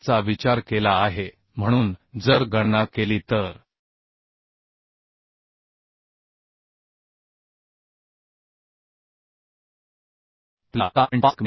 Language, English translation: Marathi, 26 so if will calculate will get 7